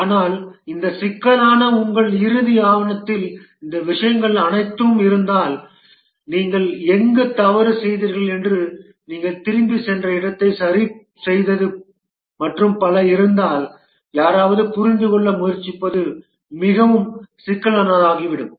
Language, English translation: Tamil, But if your final document for this problem has all these things where you did mistake, where you went back back, corrected and so on, then it becomes extremely complicated for somebody trying to understand